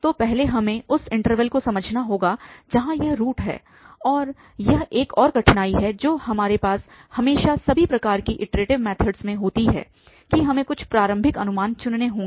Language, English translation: Hindi, So, first we have to realize the interval where this root lies and that is another difficulty which always, we have in all kind of iterative method that we have to choose some initial gas